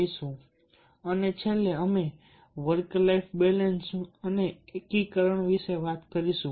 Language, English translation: Gujarati, then, finally, will talk about the work life balance and integration